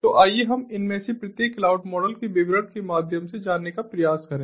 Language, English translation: Hindi, so let us try to go through the details further of each of these clouds, cloud models